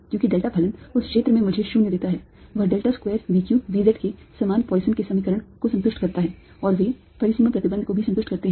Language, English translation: Hindi, in that region is satisfies the same poisson's equation as del square v, q, v, z is all right and they also satisfy the boundary condition